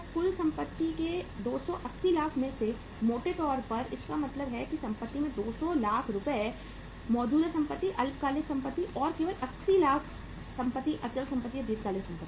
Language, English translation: Hindi, Out of the 280 lakh rupees of the total assets largely means the 200 lakhs of the rupees of the assets are current assets, short term assets and only 80 lakhs of the assets are fixed assets or the long term assets